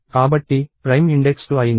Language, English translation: Telugu, So, prime index became 2